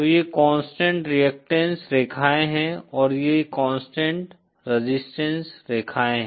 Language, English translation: Hindi, So these are the constant reactants lines and these are the constant resistance lines